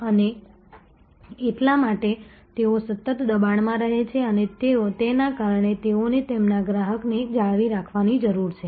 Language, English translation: Gujarati, And; that is why they are continuously under pressure and because of that they need to retain their customers